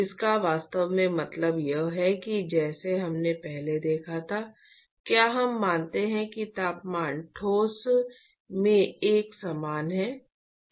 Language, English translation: Hindi, What it really means is as we have seen before is we assume that the temperature is uniform in the solid